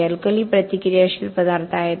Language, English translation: Marathi, These are alkali reactive materials